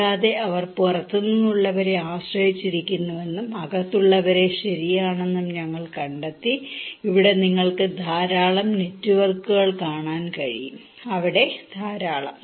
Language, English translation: Malayalam, And we also found that they are depending on outsiders and also insiders okay, like here you can see a lot of networks, a lot of there